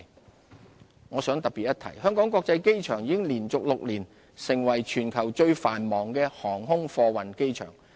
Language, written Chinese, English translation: Cantonese, 航空貨運業我想特別一提，香港國際機場已連續6年成為全球最繁忙的航空貨運機場。, Air Cargo Industry HKIA has been the worlds busiest cargo airport in the past six consecutive years